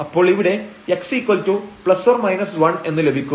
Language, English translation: Malayalam, So, let us assume that x is 0